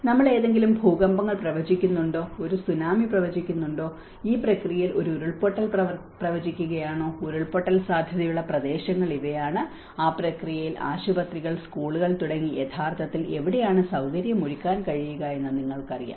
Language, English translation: Malayalam, Are we predicting any earthquakes, are we predicting a Tsunami, are we predicting a landslide in this process, which are the areas which are landslide prone and in that process, where you can procure you know where we can actually facilitate them like hospitals, schools